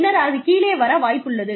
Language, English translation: Tamil, And then, they are likely to come down